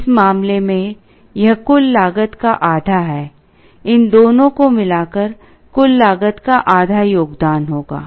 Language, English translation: Hindi, In this case, this is half of the total cost, these two put together will contribute half of the total cost